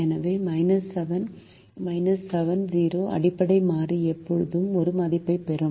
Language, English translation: Tamil, the basic variable will always get a value zero